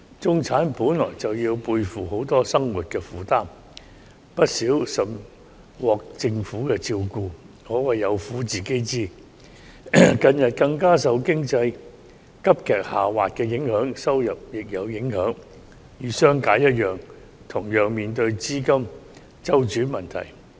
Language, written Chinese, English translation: Cantonese, 中產本來便要背負許多生活負擔，又甚少獲政府的照顧，可謂有苦自己知，近期經濟急劇下滑，對他們的收入也有影響，與商界一樣面對資金周轉問題。, The middle - class people who have an enormous burden to bear in their daily lives without much help from the Government can only suffer in silence . In the face of the recent sharp economic downturn their incomes have been affected and they are encountering cash flow problems just like the business sector